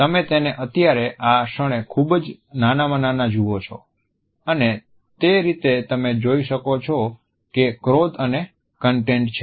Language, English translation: Gujarati, You see it right here at this moment very very tiny and that is how you can see that there is anger and content